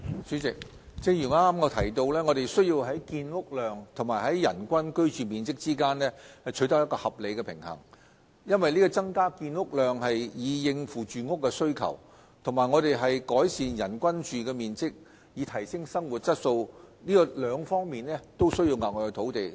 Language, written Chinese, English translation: Cantonese, 主席，正如我剛才提到，我們需要在建屋量及人均居住面積之間取得合理平衡，因為增加建屋量以應付住屋的需求，以及改善人均居住面積以提升生活質素，兩者均需要額外土地。, President as I mentioned earlier we need to strike a reasonable balance between housing production and average living space per person as an increase in housing production to address accommodation needs and an increase in average living space per person to improve living standard would require additional land